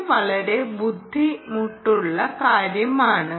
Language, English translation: Malayalam, is this not a tough task